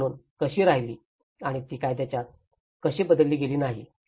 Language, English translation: Marathi, How the bills remained as a bill and how it has not been turned into an act